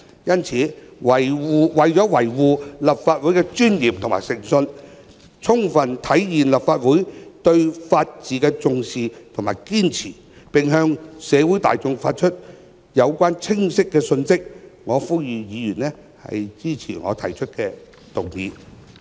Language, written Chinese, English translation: Cantonese, 因此，為維護立法會的尊嚴和誠信，充分體現立法會對法治的重視及堅持，並向社會大眾發出有關的清晰信息，我呼籲議員支持我提出的議案。, Therefore in order to defend the dignity and integrity of the Legislative Council fully realize the Legislative Councils emphasis on and persistence to the rule of law and send a clear message concerned to the general public I implore Members to support my motion